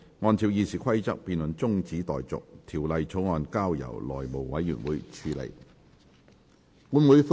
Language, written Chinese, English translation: Cantonese, 按照《議事規則》，這辯論現在中止待續，條例草案則交由內務委員會處理。, In accordance with the Rules of Procedure the debate is adjourned and the Bill is referred to the House Committee